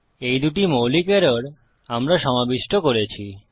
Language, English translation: Bengali, So thats two basic errors that we have covered